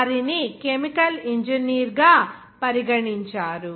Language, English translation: Telugu, They were regarded as a chemical engineer